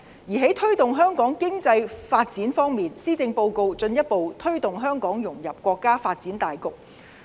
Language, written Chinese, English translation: Cantonese, 而在推動香港經濟發展方面，施政報告進一步推動香港融入國家發展大局。, On the promotion of the economic development of Hong Kong the Policy Address further advocates the integration of Hong Kong into the overall development of our country